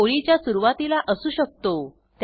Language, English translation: Marathi, It may be at the beginning of the line